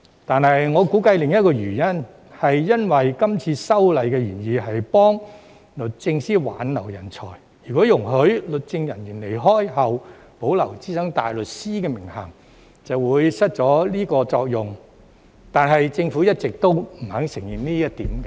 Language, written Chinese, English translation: Cantonese, 但是，我估計另一個原因在於今次修例的原意是幫助律政司挽留人才，如果容許律政人員離職後保留資深大律師的名銜，便會失去這個作用，但政府一直也不肯承認這一點。, Nevertheless I guess another reason is that the original intent of this legislative amendment exercise to help DoJ retain talents . Should legal officers be allowed to retain the SC title after their departure this purpose cannot be served . Still the Government has refused to admit this